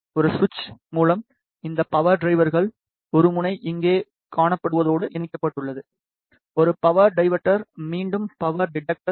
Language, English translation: Tamil, Through a switch this power dividers one end is connected to what you see here is a power detector, again power detector